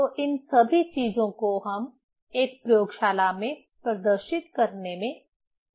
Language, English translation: Hindi, So, all these things we are able to demonstrate in a laboratory